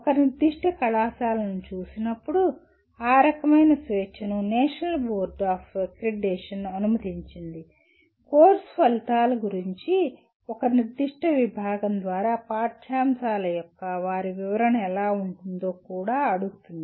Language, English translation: Telugu, That kind of freedom is permitted by National Board Of Accreditation when it looks at a particular college will also ask what kind of their interpretation of the curriculum is performed by the a particular department vis à vis the course outcomes